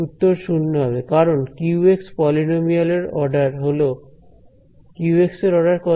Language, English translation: Bengali, Answer has to be 0 because so, q x is a polynomial of order, what was the order of q x